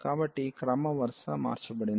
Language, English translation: Telugu, So, the order will be change